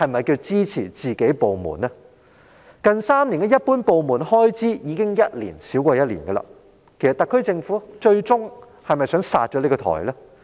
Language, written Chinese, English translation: Cantonese, 港台近3年的一般部門開支已逐年遞減，特區政府最終其實是否有意"殺掉"港台？, There was a continuous decline in the general departmental expenses of RTHK in the last three years and is it after all the SAR Governments genuine intention to kill off RTHK?